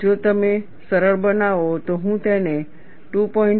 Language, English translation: Gujarati, And if you simplify, I can simply write this as 2